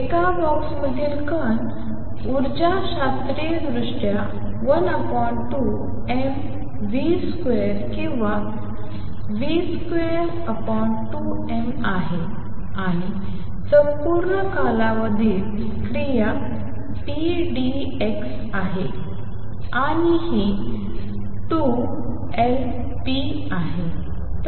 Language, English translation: Marathi, Particle in a box the energy classically is one half m v square or also p square over 2 m, and the action is p d x over the entire period and this comes out to be 2 Lp